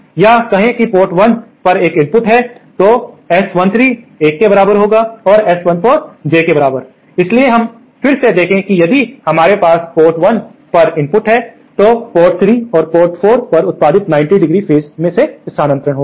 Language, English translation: Hindi, Or say there is an input at port 1, then the S13 is equal to 1 and S 14 is equal to J, so we can again see that if we have an input at port 1, then the outputs at port 3 and port 4 are phase shifted by 90¡